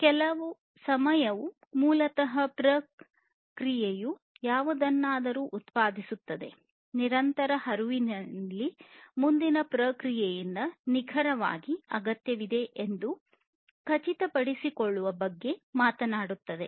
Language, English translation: Kannada, And just in time basically talks about ensuring that each process produces whatever is exactly needed by the next process, in a continuous flow